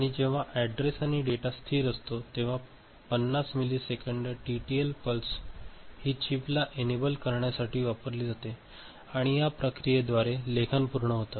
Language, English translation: Marathi, And when address and data are stable, 50 millisecond TTL pulse is placed to chip enable alright and by that process writing gets done